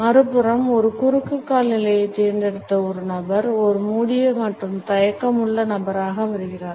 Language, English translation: Tamil, On the other hand a person who has opted for a cross leg position comes across as a closed and reticent person